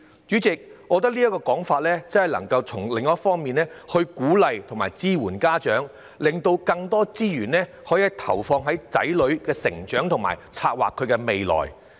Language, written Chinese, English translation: Cantonese, 主席，我認為這建議可從另一方面支援家長，讓他們能把更多資源投放於子女成長，為子女策劃未來。, President I think this is another way to support parents so that they will have more resources to raise their children and plan for their childrens future